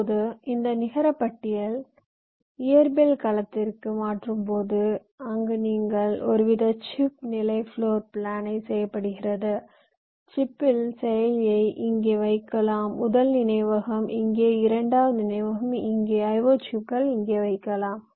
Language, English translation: Tamil, now this net list would translate in to physical domain where you do some kind of a chip level floor plant, like you decide that on your chip you can place your processor here, first memory here, second memory here, the i o, chips here